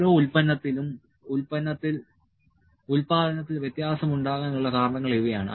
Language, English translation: Malayalam, These are causes of variation in production every product